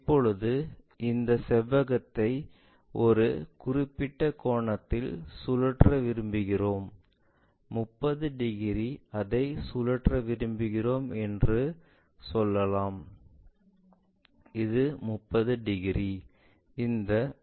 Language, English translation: Tamil, Now, we would like to rotate this rectangle by certain angle, maybe let us say 30 degrees we would like to rotate it, this one 30 degrees